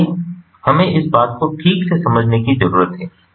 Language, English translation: Hindi, so this is what we need to understand